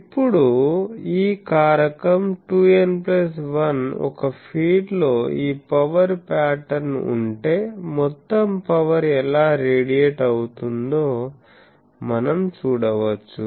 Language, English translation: Telugu, Now, this factor 2 n plus 1 that is chosen for a reason that we can see that if a feed has this power pattern, what is the total power radiated